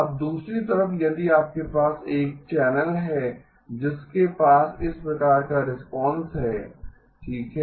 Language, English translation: Hindi, Now on the other hand, if you had a channel which had this type of a response okay